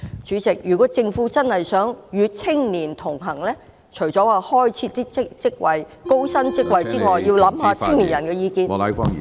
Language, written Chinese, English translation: Cantonese, 主席，如果政府真的想與青年同行，除了開設高薪職位外，也要考慮青年人的意見。, President if the Government truly wants to stand by young people aside from creating some high - paid posts it should also consider the views of the young people